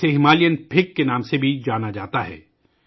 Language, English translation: Urdu, It is also known as Himalayan Fig